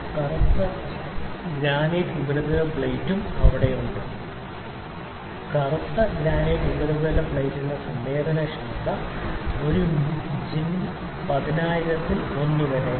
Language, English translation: Malayalam, The black granite surface plate is also there so, the sensitivity of the black granite surface plate is 1 by 10000 of an inch